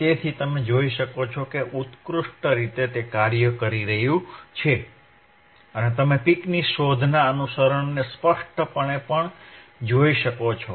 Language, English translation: Gujarati, So, you can see it is working excellently and you can clearly see the follow of the peak detection